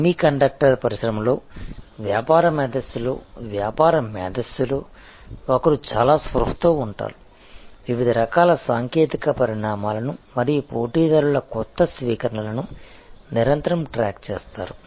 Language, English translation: Telugu, And in either case within the business intelligences in a semiconductor industry, In business intelligence, one would be very conscious, constantly tracking the various kinds of technology developments and new adoptions by competitors